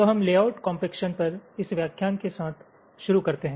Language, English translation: Hindi, so we start with, ah, this lecture on layout compaction